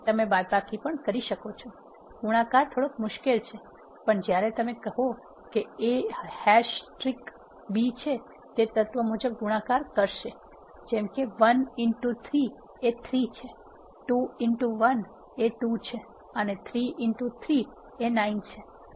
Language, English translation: Gujarati, So, you can also do the subtraction, multiplication is little bit trickier when you say A has trick B it will perform element wise multiplication such as 1 into 3 is 3, 2 into 1 is 2 and 3 into 3 is 9